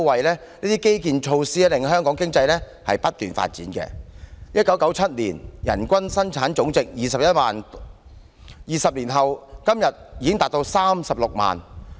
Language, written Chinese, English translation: Cantonese, 這些基建及措施，令香港經濟不斷發展 ，1997 年的人均生產總值為21萬元 ，20 年後的今天已達36萬元。, With all these infrastructure projects and measures Hong Kongs economy keeps growing . Our Gross Domestic Product per capita increased from 210,000 in 1997 to the present 360,000 in two decades